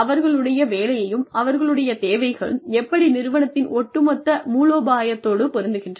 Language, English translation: Tamil, And, how does their work, and how do their needs, fit in with the, overall strategy of the organization